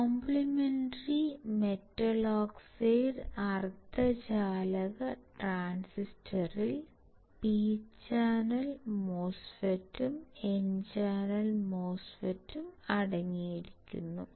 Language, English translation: Malayalam, Complementary metal oxide semiconductor transistor consists of, P channel MOSFET and N channel MOSFET